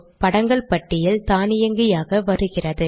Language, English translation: Tamil, List of figures also comes automatically